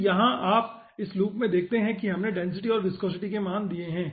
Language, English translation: Hindi, then here you see, in this loop, we have given the density and viscosity values